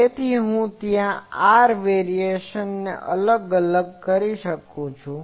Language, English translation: Gujarati, So, in I can separate there r variation